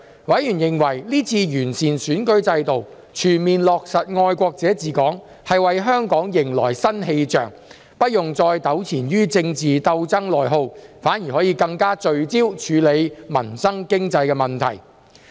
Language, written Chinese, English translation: Cantonese, 委員認為這次完善選舉制度，全面落實"愛國者治港"，為香港迎來新氣象，不用再糾纏於政治鬥爭內耗，反而可更聚焦處理民生經濟問題。, Members considered that the improvement of the electoral system had enabled the full implementation of the principle of patriots administering Hong Kong and brought a new atmosphere to Hong Kong so that we no longer had to be entangled in political struggles and internal rifts but could focus more on addressing livelihood and economic issues